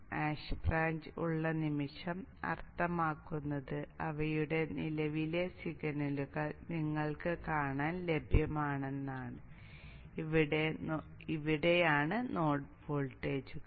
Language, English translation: Malayalam, You have the moment anything hash branches there mean they are current signals available for you to see and these are the node voltages